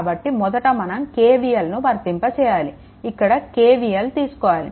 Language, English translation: Telugu, So, what you can do is that first take KVL like this, you take KVL here